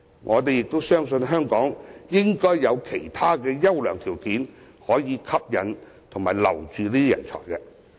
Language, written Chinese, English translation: Cantonese, 我們相信，香港應該有其他優良條件可以吸引和挽留人才。, We believe that Hong Kong should be able to offer other favourable conditions to attract and retain talents